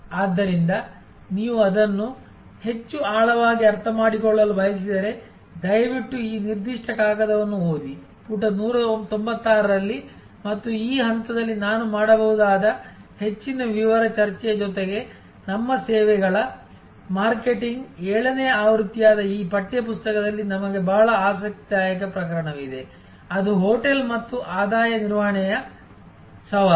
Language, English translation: Kannada, So, if you want to understand it in greater depth then please read this particular paper in addition to the more detail discussion that you can have at page 196 and at this stage I might mention that in this text book that is our services marketing seventh edition we have a very interesting case, which is for a hotel and there challenge of revenue management